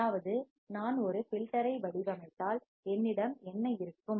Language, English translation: Tamil, That means, that if I design a filter then what will I have